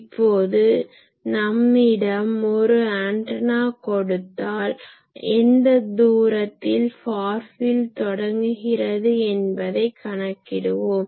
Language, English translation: Tamil, So, now we know if you get a antenna you always can calculate that, at what distance it will have a far field